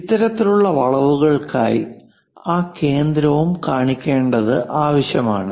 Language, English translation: Malayalam, For this kind of curves arcs, it is necessary to show that center also